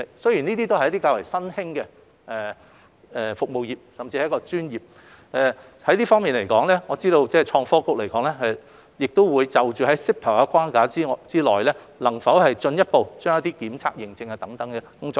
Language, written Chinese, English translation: Cantonese, 這些都是較為新興的服務業，甚至是一項專業，我知道創新及科技局會在 CEPA 的框架下，探討能否進一步推廣檢測驗證等工作。, What they have referred to are relatively new service industries or even professional businesses and I know that the Innovation and Technology Bureau ITB will under the framework of CEPA explore whether such work as testing and certification can be further promoted